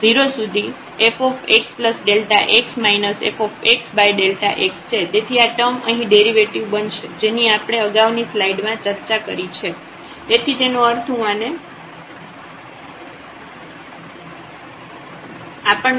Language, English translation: Gujarati, So, this term here becomes the derivative which we have discussed in the previous slide so; that means, we get here let me erase this ok